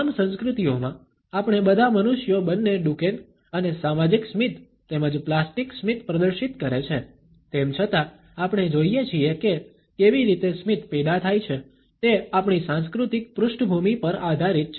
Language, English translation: Gujarati, Though all of us all human beings in all cultures exhibit both Duchenne and social smiles as well as plastic smiles, we find how a smile is generated depends on our cultural background